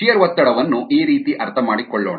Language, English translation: Kannada, let us understand shear stress this way